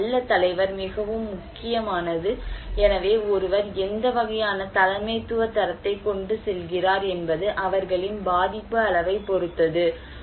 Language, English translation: Tamil, And also the leadership, a good leader is very important, so what kind of leadership quality one carries it depends on their level of vulnerability